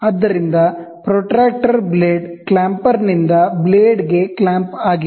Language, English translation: Kannada, So, the protractor is clamp to the blade by a blade clamper